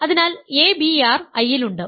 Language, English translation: Malayalam, So, abr is in I